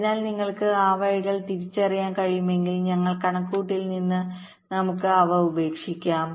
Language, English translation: Malayalam, so if you can identify those path, we can leave them out from our calculation